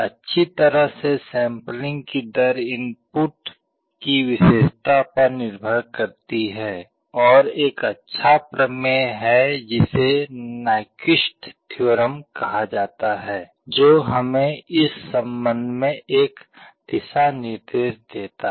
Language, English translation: Hindi, Well sampling rate depends on the characteristic of the input signal and there is a nice theorem called Nyquist theorem that gives us a guideline in this regard